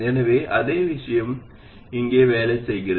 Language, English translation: Tamil, So exactly the same thing works here